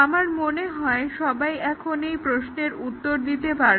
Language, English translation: Bengali, This I think all will be able to answer